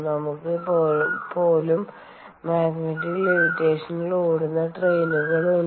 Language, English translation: Malayalam, even we have trains running on magnetic levitation